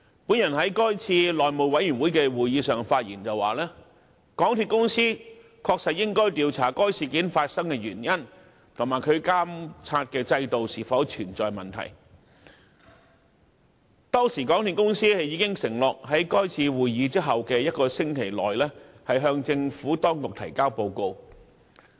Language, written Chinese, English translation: Cantonese, 我在該次內務委員會會議上發言時指出，"港鐵公司應調查該事件發生的原因及其監察制度是否存在問題......港鐵公司已承諾於是次會議後一星期內向政府當局提交報告"。, When I spoke at the relevant House Committee meeting I pointed out that MTRCL should investigate why the incident occurred and whether there were any problems in its monitoring system MTRCL had undertaken to submit a report to the Administration in the week after this meeting